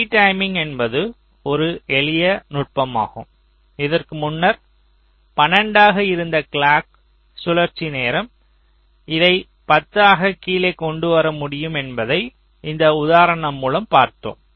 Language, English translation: Tamil, so v timing is a simple technique, as we have illustrated through this example, where the clock cycle time, which was earlier twelve, we have been able to bring it down to ten